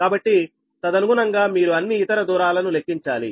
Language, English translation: Telugu, so accordingly you have to calculate all other distances